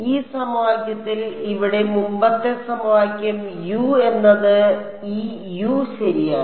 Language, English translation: Malayalam, In this equation over here the previous equation over here, U was general this U right